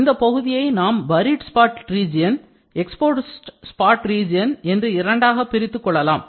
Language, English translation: Tamil, So, here is the, this is the buried spot region, this is the exposed spot region, this is the spot